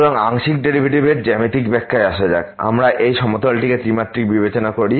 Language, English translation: Bengali, So, coming to Geometrical Interpretation of the Partial Derivative, we consider this plane three dimensional